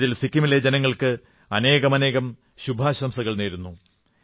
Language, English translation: Malayalam, For this, I heartily compliment the people of Sikkim